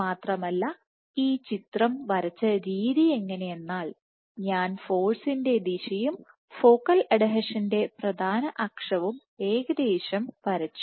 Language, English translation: Malayalam, Moreover, the way I drew this picture I roughly aligned the direction of the force and the major axis of the focal adhesion